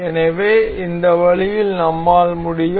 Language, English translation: Tamil, So, in this way we can